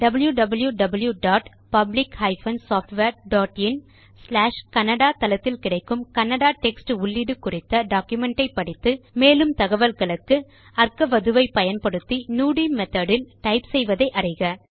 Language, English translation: Tamil, Please refer to the document on Kannada text processing available at www.Public Software.in/Kannada for specific information about typing in Kannada, including typing in Nudi, using arkavathu